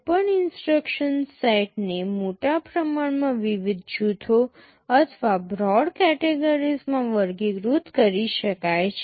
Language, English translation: Gujarati, Broadly speaking any instruction set can be categorized into various groups or broad categories